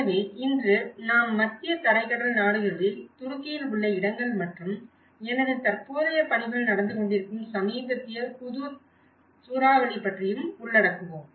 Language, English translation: Tamil, So, today we will be covering about places in Turkey in the Mediterranean countries and also the recent Hudhud cyclone which my present work is also going on